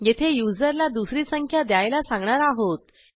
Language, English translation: Marathi, Here we ask the user to enter the second number